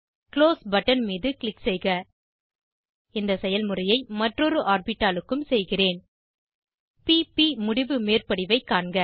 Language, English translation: Tamil, Click on Close button I will repeat the process for the other orbital Observe p p end on overlap